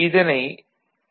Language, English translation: Tamil, This is Y